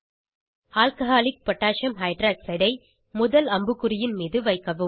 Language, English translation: Tamil, Position Alcoholic Potassium Hydroxide (Alc.KOH) above first arrow